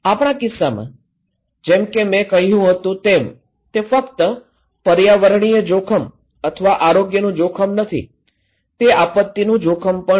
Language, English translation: Gujarati, In our case, as I said it’s not only environmental risk or health risk, it’s also disaster risk